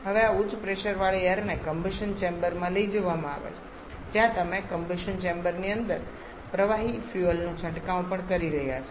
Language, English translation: Gujarati, Now this high pressure air is taken to the combustion chamber where fuels are also spraying the liquid fuel inside the combustion chamber